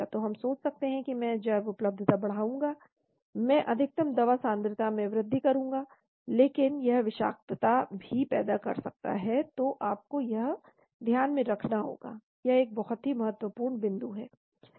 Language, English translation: Hindi, So we may think that I will increase the bioavailability, I will increase the peak drug concentration, but it can also lead to toxicity, so you need to keep that in mind, this is a very important points